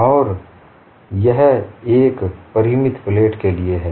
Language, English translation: Hindi, And this is for a finite plate